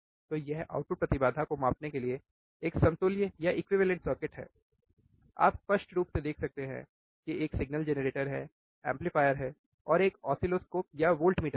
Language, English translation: Hindi, So, this is an equivalent circuit for measuring the output impedance, you can clearly see there is a signal generator is the amplifier, and there is a oscilloscope or voltmeter